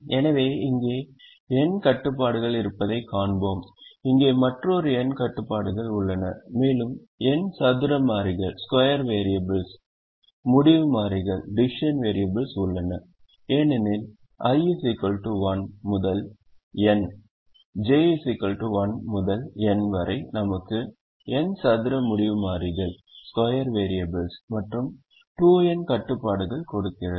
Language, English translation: Tamil, so we will see that there are n constraints here, there are another n constraints here and there are n square variables: decision variable because i equal to one to n, j equal to one to n gives us n square decision variables and two n constraints